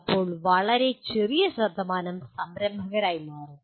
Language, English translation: Malayalam, And then a very small percentage will become entrepreneurs